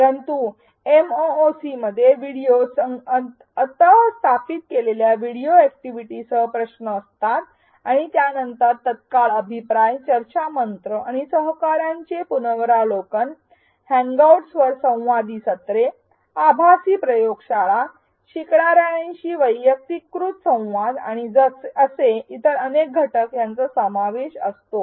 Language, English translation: Marathi, But a MOOC contains videos with in video embedded activities questions followed by immediate feedback, discussion forums and peer review, interactive sessions such as on hangouts, virtual labs, personalized communication with learners and several other such elements